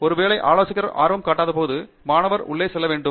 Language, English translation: Tamil, Maybe times when the advisor is not interested and student has to jump in